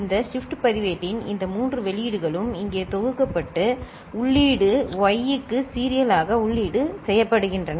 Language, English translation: Tamil, These three outputs of this shift register is summed up here and fed as input to the input y as serial in